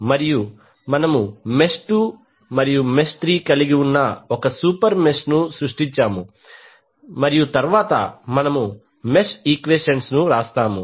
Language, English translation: Telugu, So we will create one super mesh containing mesh 2 and 3 and then we will write the mesh equation